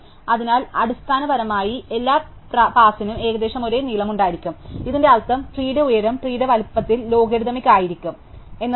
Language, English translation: Malayalam, So, basically all the paths will roughly have the same length, and what this will mean is that the height of the tree will be logarithmic in the size of the tree